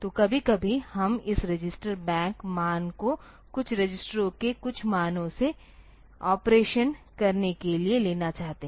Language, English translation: Hindi, So, sometimes we will like to take this register bank values from some of the values from some of the registers to do the operation